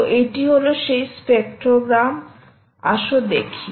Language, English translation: Bengali, so this is the spectrogram ah